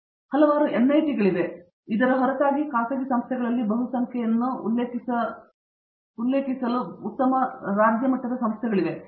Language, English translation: Kannada, We have several NITs; apart from these we have very good state institutions not to mention the multitude in it’s private institutions